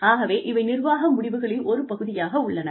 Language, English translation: Tamil, So, they form a part of managerial decisions